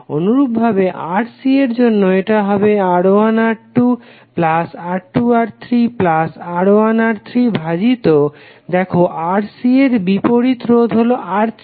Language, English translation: Bengali, Similarly for Rc, it will be R1 R2 plus R2 R3 plus R3 R1 divided by; see the value opposite to Rc that is R3